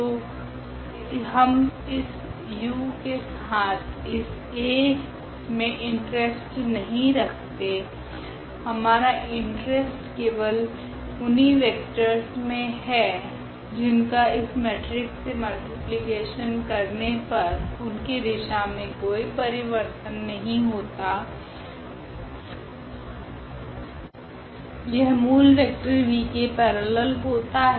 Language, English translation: Hindi, So, our interest is not exactly this u with this A, our interest is for such vectors whose multiplication with that matrix does not change its direction its a parallel to the original vector v